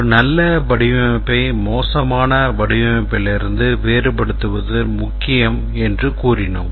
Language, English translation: Tamil, And then it said that it's important to distinguish a good design from a bad design